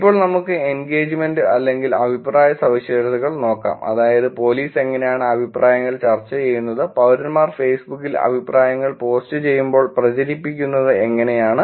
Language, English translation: Malayalam, Now let us look at the engagement or comments characteristics which is, when police do the post how the comments are discussed, when citizens do a post how comments are being spread on Facebook